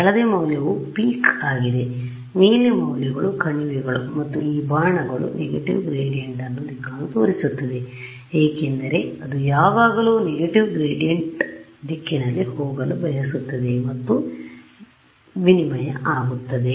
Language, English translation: Kannada, So, yellow value is the peak, blue values are the valleys and what are these arrows showing you these arrows are showing you the direction of the negative gradient because I want to always go in the direction of negative gradient that is the steepest descent that will take me to the minima